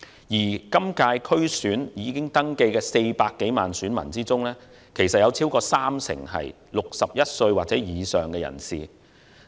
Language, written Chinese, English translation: Cantonese, 在本屆區選已登記的400多萬名選民中，有超過三成是61歲或以上人士。, There are over 4 million registered voters in the DC Election this year and more than 30 % of them are persons aged 61 or above